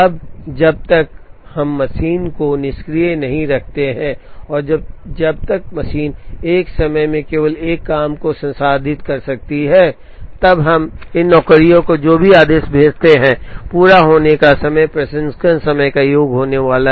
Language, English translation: Hindi, Now, as long as we do not keep the machine idle and as long as the machine can process only one job at a time, whatever order we sent these jobs, the last of the completion times is going to be the sum of the processing times, which is 30